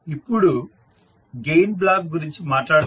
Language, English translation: Telugu, Now, let us talk about the Gain Block